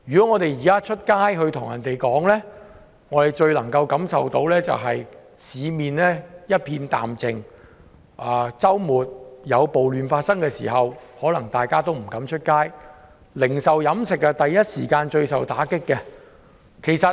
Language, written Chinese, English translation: Cantonese, 我們現時外出最能夠感受到的，是市面一片淡靜，在周末暴亂期間，大家都不敢外出，零售、飲食業首當其衝。, We can feel the desolation when we go out . People do not dare to go out over the weekend when the riots break out . The retails and catering industries are the first to bear the brunt